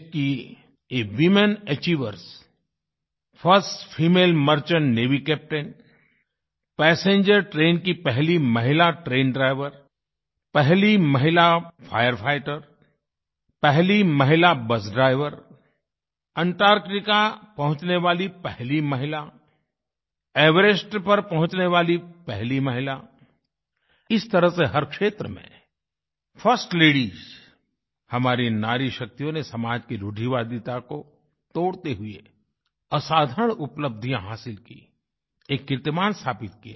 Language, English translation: Hindi, Women achievers of our country… the first female Merchant Navy Captain, the first female passenger train driver, the first female fire fighter, the first female Bus Driver, the first woman to set foot on Antarctica, the first woman to reach Mount Everest… 'First Ladies' in every field